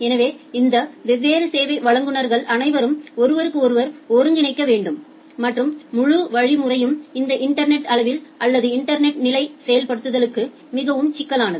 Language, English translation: Tamil, So all these different service providers they need to coordinate with each other and the entire mechanism is very much complicated for this internet scale or internet level implementation